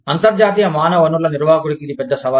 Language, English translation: Telugu, That is one big challenge, of the international human resource manager